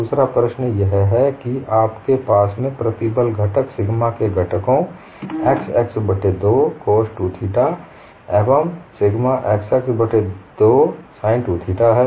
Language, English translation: Hindi, That loading we have seen the other problem is you have the stress components sigma xx by 2 coos 2 theta, and sigma xx by 2 sin 2 theta